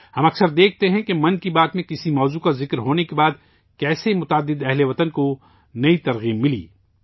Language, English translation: Urdu, We often see how many countrymen got new inspiration after a certain topic was mentioned in 'Mann Ki Baat'